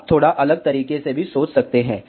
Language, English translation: Hindi, You can even think in a slightly different way also